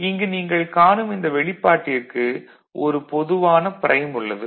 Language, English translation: Tamil, So, here in this expression, we see that there the whole expression that is a prime over there